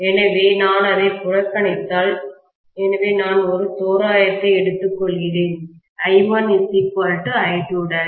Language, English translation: Tamil, So, it is okay if I neglect it, so I am taking up an approximation I1 equal to I2 dash